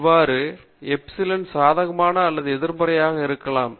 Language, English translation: Tamil, Thus, epsilon i may be either positive or negative